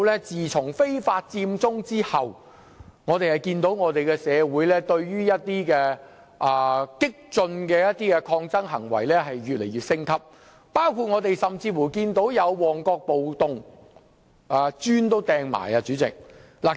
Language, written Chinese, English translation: Cantonese, 自從非法佔中後，我們看到社會上激進的抗爭行為逐步升級，包括發生了旺角暴動，當時更有人投擲磚頭。, Since the illegal Occupy Central we have witnessed a gradual escalation of radical protests in the community including the riot in Mong Kok during which incidents of throwing bricks emerged